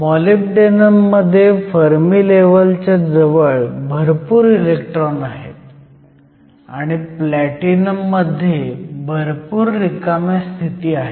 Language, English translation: Marathi, So, if you think about it molybdenum has a whole bunch of electrons, close to the Fermi level and there are whole bunch of empty states in platinum